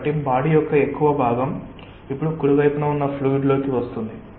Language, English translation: Telugu, so more part of the body is now in to the fluid towards the right